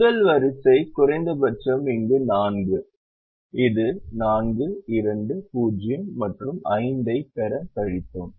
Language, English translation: Tamil, the minimum happened to be here, which is four, and then we subtracted this to get four, two, zero and five